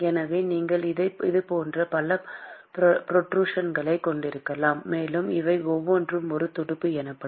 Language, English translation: Tamil, And so, you can have many such protrusions; and each of these protrusion is what is called as a fin